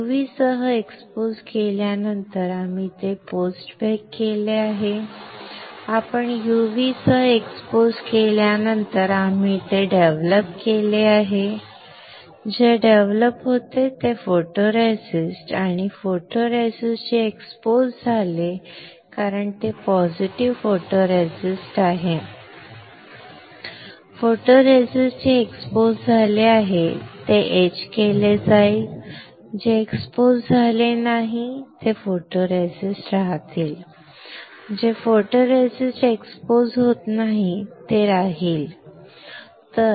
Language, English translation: Marathi, After exposing it with the UV we have post bake it; we have after you are exposing with UV we have developed it develop what develop photoresist, and the photoresist which were exposed because it is positive photoresist; the photoresist which all which is exposed will be etched, the photoresist which is not exposed will remain; the photoresist which is not exposed will remain, alright